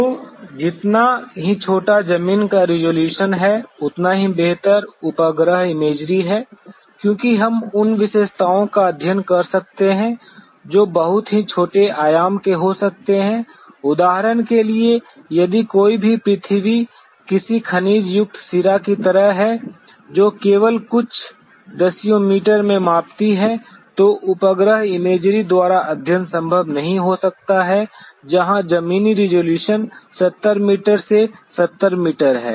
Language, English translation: Hindi, So, smaller is the ground resolution a better the satellite imagery is, because we could study features which could be of much smaller dimension; for example, if any earth features like a like a mineralized vein which measures only in a few tens of meters may not be possible to be studied by a satellite imagery where the ground resolution is 70 meter to 70 meter